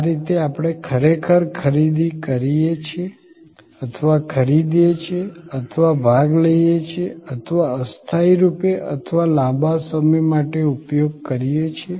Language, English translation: Gujarati, This is the way, we actually purchase or procure or participate or used temporarily or for a length of time